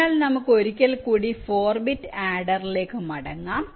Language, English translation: Malayalam, fine, so lets come back to the four bit adder once more